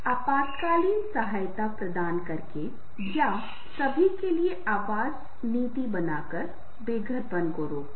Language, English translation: Hindi, prevent the homelessness by providing the emergency assistance or making a housing policy for all